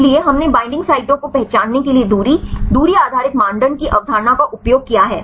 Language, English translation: Hindi, So, we used the concept of distance right distance based criteria to identify the binding sites right you can use any distance criteria